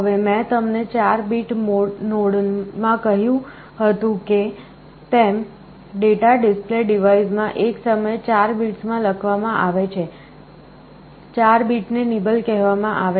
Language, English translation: Gujarati, Now, I told you in the 4 bit node data are written into the display device 4 bits at a time, 4 bit is called a nibble